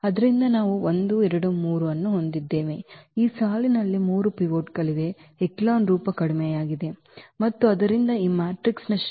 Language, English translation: Kannada, So, we have 1, 2, 3, there are 3 pivots here in this row reduced echelon form and therefore, the rank of this matrix is 3